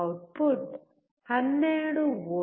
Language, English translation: Kannada, Output is 12V